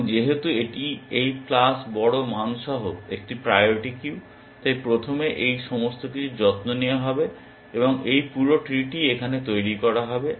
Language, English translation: Bengali, And since this is a priority queue with this plus large values, all this will be taken care of first and this whole tree would be constructed here